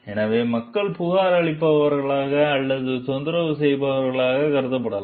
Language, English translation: Tamil, So, people may be viewed as complainers or troublemakers